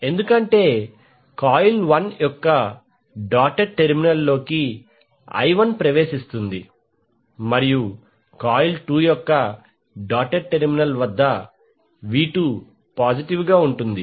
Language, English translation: Telugu, Because I1 enters the doted terminal of the coil 1 and V2 is positive at the doted terminal of coil 2